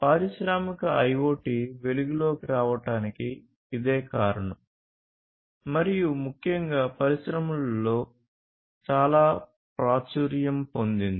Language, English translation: Telugu, So that is where industrial IoT comes into picture and is so much popular, particularly in the industry